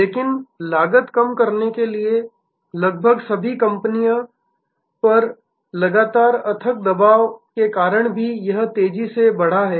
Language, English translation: Hindi, But, it has also grown rapidly due to a continuous relentless pressure on almost all companies to reduce costs